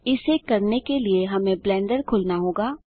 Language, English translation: Hindi, To do that we need to open Blender